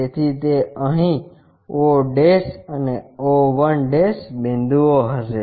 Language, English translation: Gujarati, So, those will be o' and o 1' here